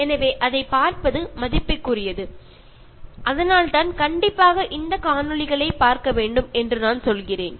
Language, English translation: Tamil, So, it is worth watching, so that is why I said that it is must watch videos